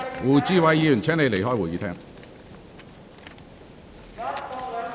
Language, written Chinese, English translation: Cantonese, 胡志偉議員，請你離開會議廳。, Mr WU Chi - wai please leave the Chamber